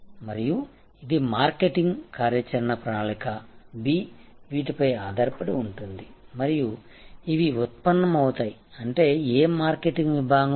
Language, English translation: Telugu, And this is marketing action plan B is based on these and these are derived; that means, which market segment